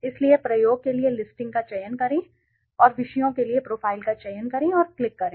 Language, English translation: Hindi, So, deselect listing for experiment and select profile for subjects and click okay